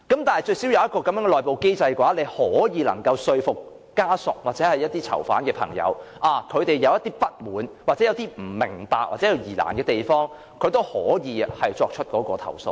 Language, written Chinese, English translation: Cantonese, 但是，如有這個內部機制，則至少可說服家屬或囚犯的朋友，當他們有不滿、不明白或有疑難的地方時，也可以作出投訴。, So if there is an internal mechanism at least we can tell inmates families or friends that there is a way for them to complain should they have any dissatisfaction question or difficulty